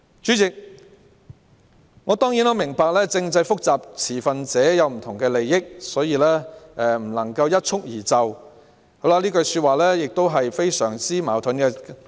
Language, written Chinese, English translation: Cantonese, 主席，我明白政制問題複雜，並涉及不同持份者的利益，不可能一蹴而就，但這句說話十分矛盾。, President I understand that the constitutional problems are complicated and the interests of different stakeholders are involved so the problems cannot be solved overnight . Yet this is a very contradictory remark